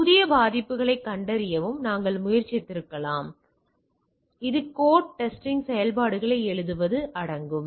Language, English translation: Tamil, So, we may have also try to find out new vulnerabilities, this involves writing code testing function etcetera